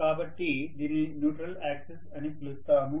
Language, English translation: Telugu, So, we called this as a neutral axis